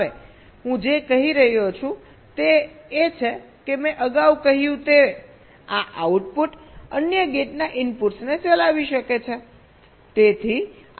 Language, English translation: Gujarati, now what i am saying is that this output, as i said earlier, may be driving the inputs of other gates